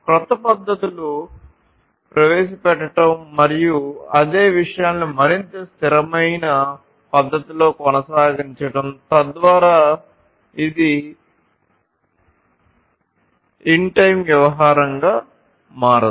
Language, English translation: Telugu, And, also to introduce newer techniques methods etc etc and continue the same things in a much more consistent sustainable manner, so that you know it does not become a one time kind of affair